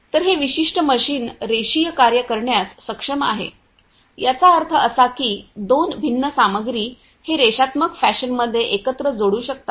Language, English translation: Marathi, So, this particular machine is able to do linear jobs; that means, that two different materials it can weld together in a linear fashion